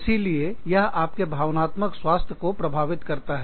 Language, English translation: Hindi, So, and that influences, your emotional health